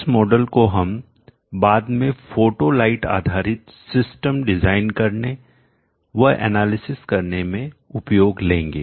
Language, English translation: Hindi, This model we would later on like to use it for analysis and design of photo light based systems